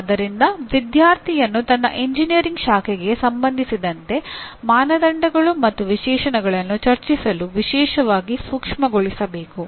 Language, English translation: Kannada, So the student should be particularly be made sensitive to discuss the criteria and specifications with regard to his branch of engineering